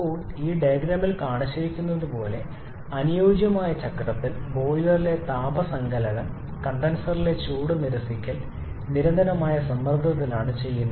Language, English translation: Malayalam, Now in ideal cycle like shown in this diagram, in the ideal cycle both the heat addition in the boiler and heat rejection in the condenser are done at constant pressure